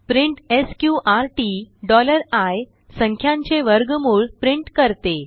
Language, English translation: Marathi, print sqrt $i prints square root of a number